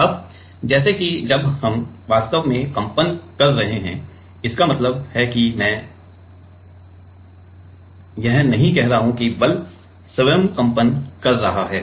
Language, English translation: Hindi, Now, let us say while we are actually vibrating; that means, I am not leaving let that the force itself is vibrating